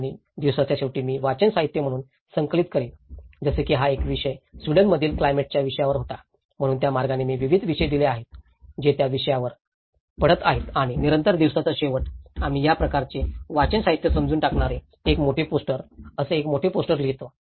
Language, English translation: Marathi, And then at end of the day, I will compile as a reading material, like this was a subject on climate conditions in Sweden, so in that way, I have given a wide variety of topics, which is falling out on that and then at the end of the day, we do a kind of big poster putting all of this reading material understanding one big poster of it